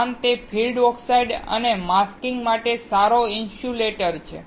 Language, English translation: Gujarati, Thus, it is a good insulator for field oxides and masking